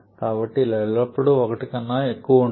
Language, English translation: Telugu, So, this is also always greater than 1